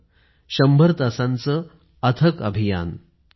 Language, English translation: Marathi, A hundredhour nonstop campaign